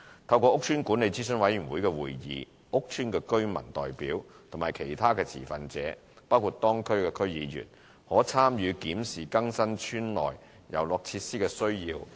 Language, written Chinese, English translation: Cantonese, 透過屋邨管理諮詢委員會會議，屋邨居民代表和其他持份者，包括當區區議員，可參與檢視更新邨內遊樂設施的需要。, Through meetings of the EMACs resident representatives and other stakeholders including local District Council members can participate in reviewing the need for replacing the playground facilities in the estates